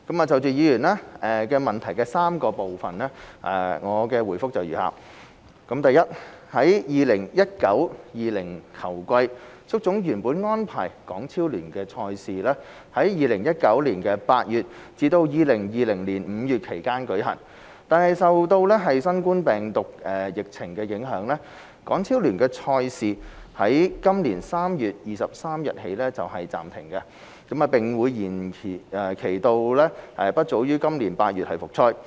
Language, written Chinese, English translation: Cantonese, 就議員質詢的3部分，我的回覆如下：一在 2019-2020 球季，足總原本安排港超聯的賽事在2019年8月至2020年5月期間舉行，但受新冠病毒疫情影響，港超聯的賽事在今年3月23日起暫停，並會延期至不早於今年8月復賽。, My reply to the three parts of the question is as follows 1 HKFA has originally scheduled to hold HKPL matches between August 2019 and May 2020 in the 2019 - 2020 football season . Due to impact of the COVID - 19 pandemic HKPL matches have been suspended and postponed since 23 March 2020 with resumption no earlier than August this year